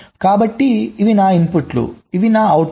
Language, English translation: Telugu, so these are my inputs, these are my outputs